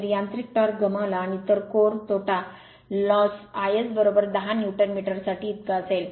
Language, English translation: Marathi, If the mechanical torque lost mechanical torque lost in friction and that for core loss is 10 Newton metres